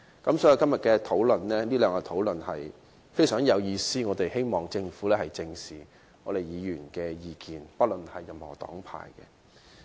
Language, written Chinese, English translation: Cantonese, 所以，昨天和今天這兩天的討論是非常有意義的，我們希望政府不論黨派，正視議員的意見。, This is why the discussions yesterday and today were very meaningful . We hope that the Government can address squarely the views expressed by Members regardless of their political affiliation